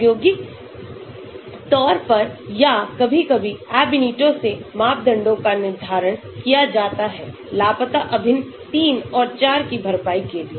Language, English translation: Hindi, experimentally determine parameters or sometimes from the Ab initio for compensate the missing integrals three and four